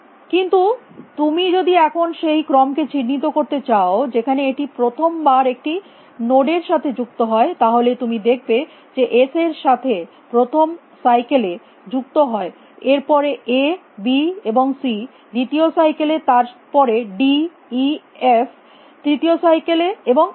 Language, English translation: Bengali, But now, if you want to mark the order in which it first time visits a node then, you can see that s is visited in the first cycle then, a b and c are visited in the second cycle then, d e and f are visited in the third cycle and so on